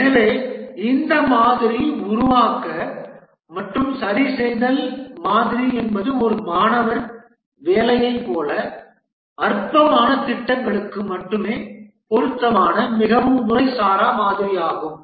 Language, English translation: Tamil, So this model, build and fix model is a very, very informal model, suitable only for projects where which is rather trivial like a student assignment